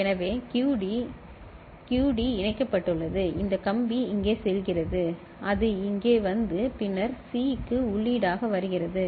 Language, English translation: Tamil, So, QD; Q D is connected this wire is going here, it is coming here and then over here as input to C